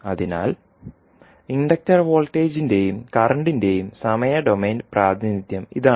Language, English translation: Malayalam, So, this is the time domain representation of inductor voltage and current